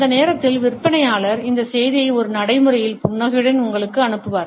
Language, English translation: Tamil, At that time the salesman would pass on this message to you with a practice the smile